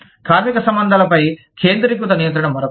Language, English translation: Telugu, Centralized control of labor relations, is another one